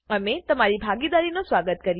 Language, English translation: Gujarati, We welcome your participation